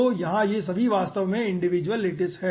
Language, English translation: Hindi, so here, aah, all these are actually will be individual lattices